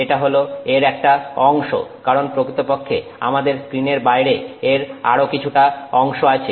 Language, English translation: Bengali, This is a section of it because actually outside of the screen you will still have something else going out